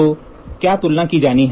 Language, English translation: Hindi, So, what is to be compared